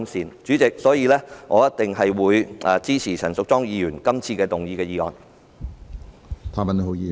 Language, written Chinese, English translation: Cantonese, 因此，主席，我一定會支持陳淑莊議員動議的議案。, Therefore President I definitely support the motion moved by Ms Tanya CHAN